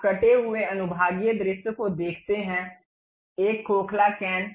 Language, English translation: Hindi, You see the cut sectional view a hollow cane